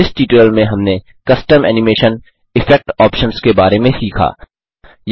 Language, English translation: Hindi, In this tutorial we learnt about Custom animation, Effect options Here is an assignment for you